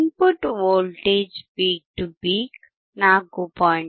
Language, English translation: Kannada, The input voltage peak to peak is 4